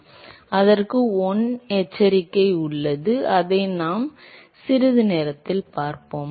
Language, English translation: Tamil, So, there is 1 caveat to it, which we will see in a short while